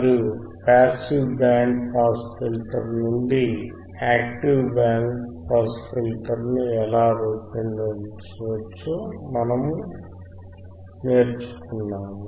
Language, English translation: Telugu, And how we can how we can design the passive band pass filter, and how we can design the active band pass filter, right